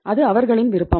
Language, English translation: Tamil, That is their wish